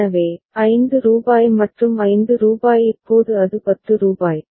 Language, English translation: Tamil, So, rupees 5 and rupees 5 now it is rupees 10